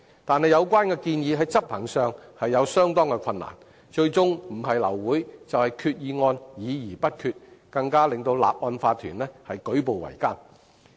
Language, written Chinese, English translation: Cantonese, 但有關建議在執行上其實有相當困難，最終不是令法團會議流會，就是令決議案議而不決，使法團的運作更舉步維艱。, However the proposal presents considerable difficulty in execution eventually leading to either the adjournment of OC meetings due to a lack of quorum or undecided resolutions . Hence the operation of OCs even becomes more difficult